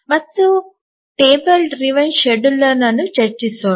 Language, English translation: Kannada, And now let's look at the table driven scheduler